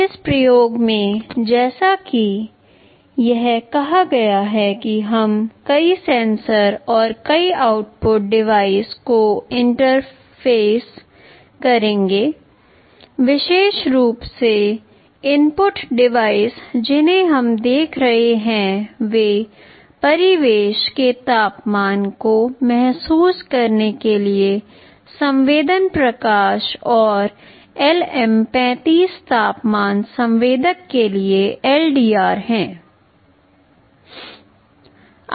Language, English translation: Hindi, In this experiment as it said we shall be interfacing multiple sensors and multiple output devices; specifically the input devices that we shall be looking at are LDR for sensing ambient light and a LM35 temperature sensor for sensing the temperature of the environment